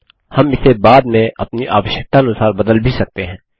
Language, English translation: Hindi, We can also modify it later as per our requirement